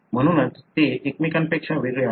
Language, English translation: Marathi, That’s why they are different from each other